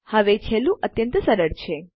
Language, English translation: Gujarati, Now, the last one is extremely simple